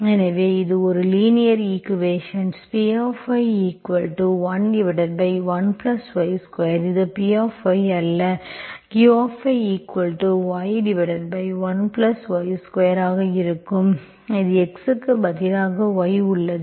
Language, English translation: Tamil, So this is a linear equation, P is 1 by 1 plus y square, it is not px, it is going to be Py here, it instead of x, you have y